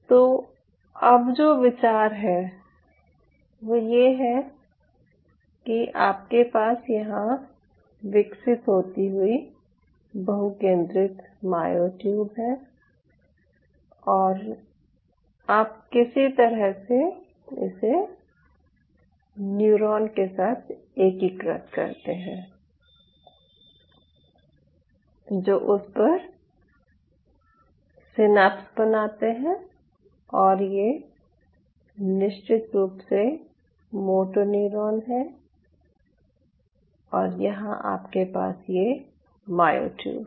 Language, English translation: Hindi, ok, so now the idea is you have a myotube growing out here, a multinucleated tube, and somewhere or other you integrate it with a neuron which will be forming synapses on it, which will be, of course, a moto neuron